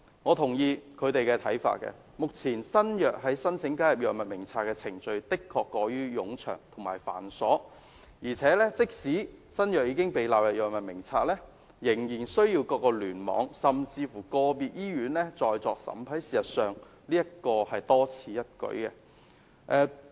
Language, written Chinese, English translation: Cantonese, 我同意他們的看法，目前新藥申請加入《藥物名冊》的程序的確過於冗長及繁瑣，即使新藥已經被納入《藥物名冊》，仍然需要各聯網甚至個別醫院審批，事實上這是多此一舉的。, I agree with their views that the procedure for the inclusion of new drugs into the Drug Formulary is exceedingly long and cumbersome . Even some new drugs are included in the Drug Formulary the approval from each hospital cluster or individual hospital is still needed . Actually it is redundant